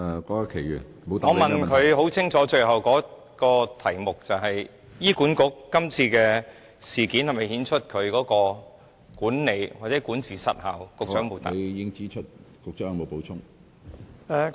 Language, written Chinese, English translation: Cantonese, 我最後的補充質詢十分清楚，便是今次事件是否顯示出醫管局的管理或管治失效，局長沒有回答。, My last supplementary question is very clear that is whether or not the incident this time around shows the ineffectiveness of HAs management or governance . The Secretary has not answered this part